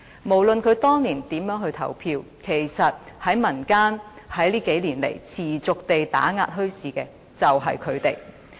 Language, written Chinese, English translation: Cantonese, 無論他們當年如何投票，這幾年來持續打壓民間墟市的，其實便是他們。, No matter how they voted back then it is actually these people who have over the past few years persistently targeted actions on bazaars in the community